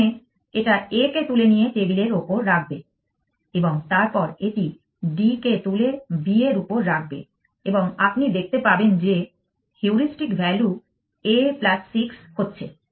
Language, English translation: Bengali, First, it will pick up A and put it on the table and then it will pick up D and put it on B and you can see that the heuristic value is going a plus 6